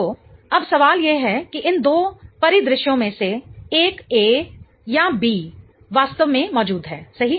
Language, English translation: Hindi, So, now the question is which one of these two scenarios A or B really exists, right